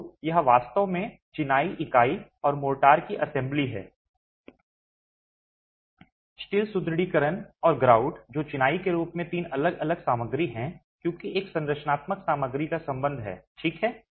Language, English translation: Hindi, So, it is really an assembly of the masonry unit and motor, the steel reinforcement and the grout which are three different materials as far as masonry as a structural material is concerned